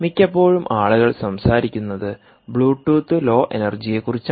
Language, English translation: Malayalam, well, most often what people talk about is bluetooth, low energy